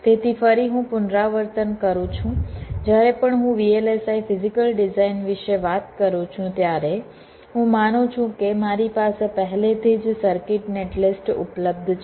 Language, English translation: Gujarati, so again, i repeat, whenever i talk about vlsi physical design, i assume that i already have a circuit netlist available with me